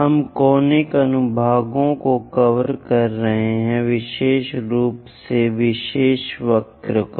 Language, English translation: Hindi, We are covering Conic Sections, especially on special curves